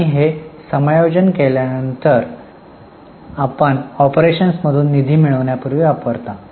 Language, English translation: Marathi, And after making this adjustment you used to get fund from operations